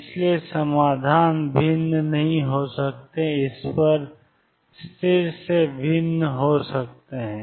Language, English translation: Hindi, So, solutions cannot be different at this differ by constant